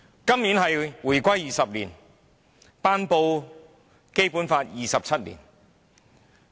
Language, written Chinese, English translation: Cantonese, 今年是回歸20周年，亦是《基本法》頒布27周年。, This year is the 20 anniversary of Hong Kongs reunification with China . It is also the 27 anniversary of the promulgation of the Basic Law